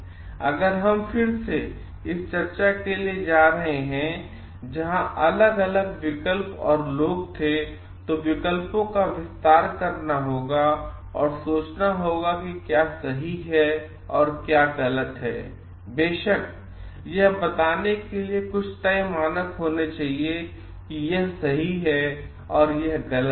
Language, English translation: Hindi, Now, if we again going for this discussion where there were different options and people have to expand on the options and think of what is right and what is wrong, then of course, there should must be some yard stake standard to tell like this is right and this is wrong